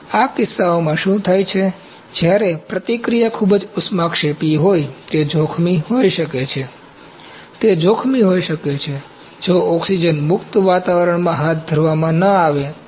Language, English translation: Gujarati, What happens in these cases, when the reaction is very exothermic it may be hazardous, it may be dangerous, if not carried out in an oxygen free atmosphere